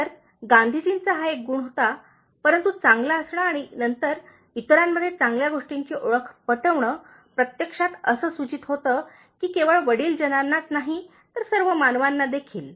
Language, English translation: Marathi, So, this was one quality that Gandhiji had, but being good and then identifying the good in others, actually it implies that not only to elders, but to all human beings